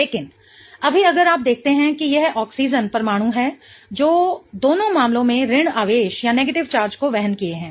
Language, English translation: Hindi, But right now if you see it is the oxygen atom that is bearing the negative charge in both the cases